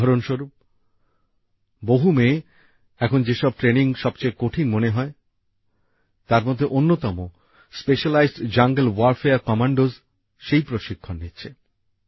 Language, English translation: Bengali, For example, many daughters are currently undergoing one of the most difficult trainings, that of Specialized Jungle Warfare Commandos